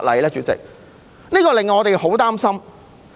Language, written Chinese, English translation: Cantonese, 主席，這真的令我們很擔心。, President this indeed makes us very worried